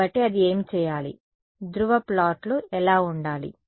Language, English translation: Telugu, So, what should it, what should the polar plot be